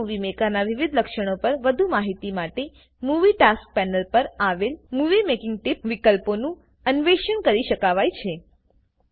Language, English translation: Gujarati, For more information on the various features of Windows Movie Maker, the Moving Making Tips option in the Movie Tasks panel can be explored